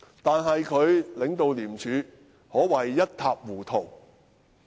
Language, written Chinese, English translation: Cantonese, 但是，他領導廉署可謂一塌糊塗。, But I would say that his leadership of ICAC is but a mess